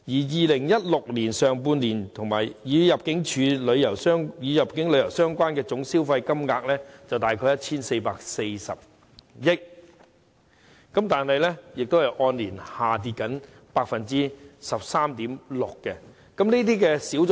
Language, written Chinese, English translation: Cantonese, 2016年上半年與入境旅遊相關的總消費金額約為 1,440 億港元，但亦按年下跌 13.6%。, In the first half of 2016 total expenditure associated with inbound tourism was about 144 billion but this represents a year - on - year decrease of 13.6 %